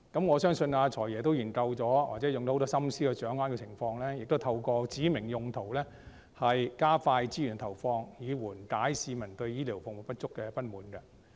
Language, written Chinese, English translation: Cantonese, 我相信"財爺"已經進行研究或花很多心思來掌握情況，亦透過指明用途來加快資源投放，以緩解市民對醫療服務不足的不滿。, I believe that FS has already conducted studies or racked his brain in a bid to grasp the situation and also expedited the allocation of resources by specifying the uses in order to address public dissatisfaction with the inadequacy of health care services